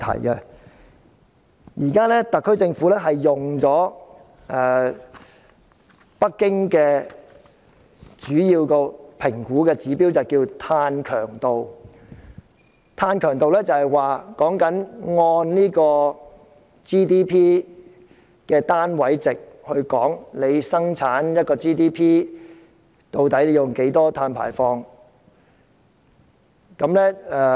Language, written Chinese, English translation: Cantonese, 香港政府現在主要是使用北京的評估指標，名為"碳強度"，是指單位 GDP 的二氧化碳排放量，即每生產一個單位的 GDP， 究竟有多少碳排放。, At present the Hong Kong Government mainly adopts the evaluation indicator used in Beijing which is called carbon intensity as measured in terms of carbon dioxide emissions per unit of GDP or the amount of carbon dioxide emissions in the production of one unit of GDP